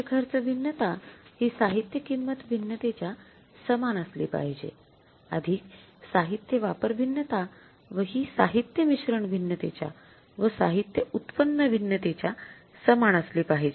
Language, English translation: Marathi, Material cost variance has to be is equal to material price variance plus material usage variance and the material usage variance is equal to material mixed variance and material yield variance